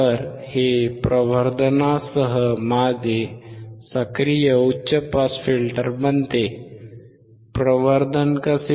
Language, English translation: Marathi, So, this becomes my active high pass filter with amplification, how amplification